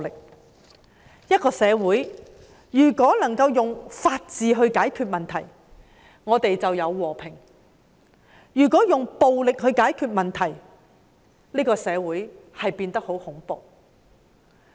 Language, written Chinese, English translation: Cantonese, 如果一個社會能夠用法治解決問題，社會就有和平；如果用暴力解決問題，社會就會變得很恐怖。, If a society can resolve problems with the rule of law there will be peace in society . If a society resolves problems with violence that society will become terrifying